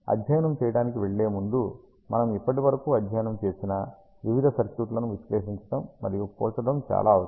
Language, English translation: Telugu, And before going to that it is very important that we analyze and compare various circuits that we have studied so far